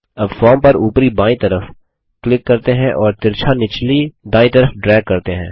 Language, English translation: Hindi, Now, let us click on the top left of the form and drag it diagonally to the bottom right